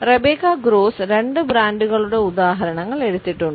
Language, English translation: Malayalam, Rebecca Gross has taken examples of two brands